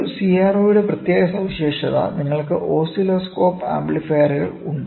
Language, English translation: Malayalam, Unique feature of a CRO; so, you have oscilloscope amplifiers